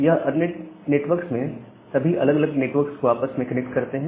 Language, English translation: Hindi, So, these ERNET network they interconnects all these different network together